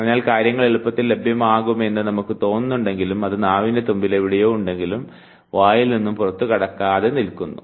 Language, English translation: Malayalam, So, although we feel as if as if things are readily available it is somewhere on tip of the tongue, but it is not making its way out of the mouth and therefore, you are not able to recollect it